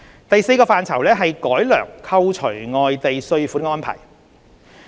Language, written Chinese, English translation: Cantonese, 第四個範疇是改良扣除外地稅款的安排。, The fourth one is the improvement in the arrangement for foreign tax deduction